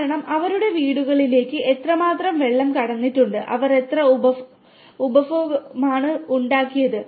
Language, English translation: Malayalam, Because how much water has been passed to their homes and what consumption they have made